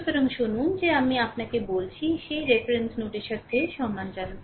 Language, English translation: Bengali, So, hear you have the I told you that with respect to that reference nodes